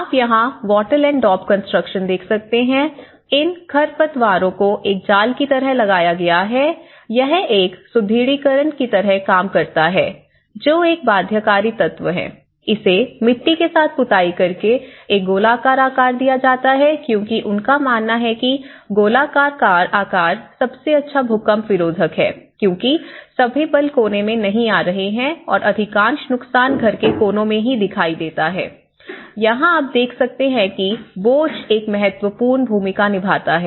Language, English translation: Hindi, You can see that there is a wattle and daub constructions, it has you can see that these weeds the wattle has been embedded like a mesh, it acts like a reinforcement, is a binding element and then the cover with the mud and this is a circular shape because they believe that the circular shape is the best earthquake resisted form because all the forces are not coming at the corner because most of the damages which we see is at the corners of a house you know that is where the load aspects also play an important role